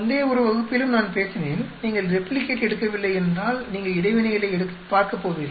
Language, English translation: Tamil, In previous one class also I did talk about if you do not replicate you will not look at interactions